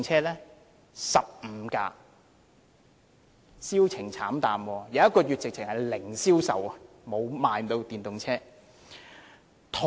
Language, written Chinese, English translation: Cantonese, 是15部，銷情慘淡，某個月簡直是零銷售，沒有電動車被賣出。, The answer is a bleak record of 15 vehicles and not even one electric vehicle was sold at all in a certain month